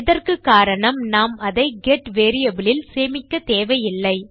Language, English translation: Tamil, The reason for this is that we dont need to store it in a GET variable